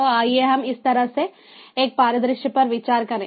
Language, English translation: Hindi, so let us consider a scenario like this